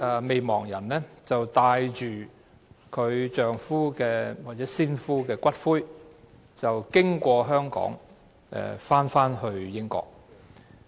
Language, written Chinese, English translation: Cantonese, 未亡人帶着先夫的骨灰經香港返回英國。, The surviving partner brought the ashes of his husband home to the United Kingdom via Hong Kong